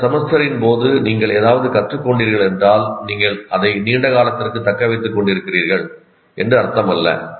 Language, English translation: Tamil, If you have learned something during that semester, it doesn't mean that you are retaining it for a long term